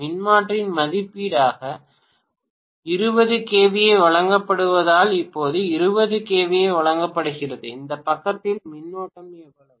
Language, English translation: Tamil, Now, 20 kVA is given as 20 kVA is given as the rating of the transformer, how much is the current on this side